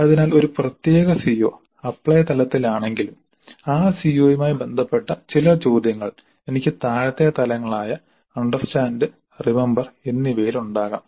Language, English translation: Malayalam, So if a particular CO is at apply level, I may have certain questions related to the CO at lower levels of understand and remember